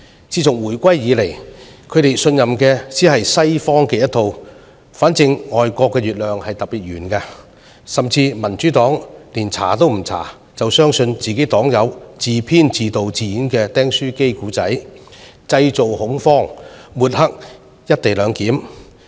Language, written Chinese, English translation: Cantonese, 自從回歸以來，他們只信任西方的一套，總之外國的月亮特別圓，民主黨甚至不調查便相信黨友自編、自導、自演的"釘書機故事"，製造恐慌，抹黑"一地兩檢"。, Since the reunification they have only trusted the Western approach . The lawn grass is always greener on the other side of the hedge . The Democratic Party even believed the stapler story scripted directed and performed by its party comrade without doing any investigation in order to create panic and discredit the co - location arrangement